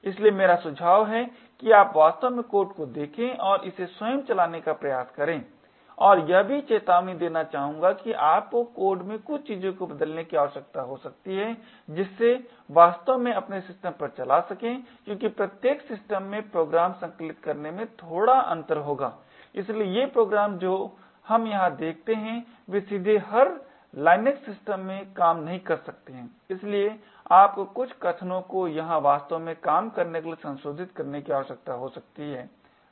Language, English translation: Hindi, So, I suggest that you could actually look at the code and try to run it yourself and also I would like to warn that you may require to change a few things in the code to actually get it running on your system the reason being that every system would have slight differences in the way the programs would get compiled and therefore these programs that we see here may not directly work in every LINUX system, so you may require to modify a few statements here and there to actually get it to work